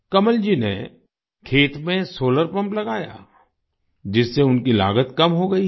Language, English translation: Hindi, Kamal ji installed a solar pump in the field, due to which his expenses have come down